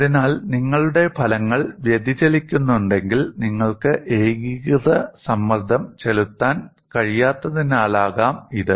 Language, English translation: Malayalam, So, if your results are deviating, it may be because you are not in a position to apply uniform stress